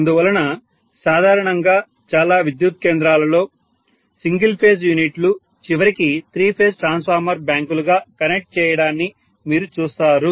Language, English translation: Telugu, So generally in many of the power stations you would see that single phase units are connected as three phase transformer bank ultimately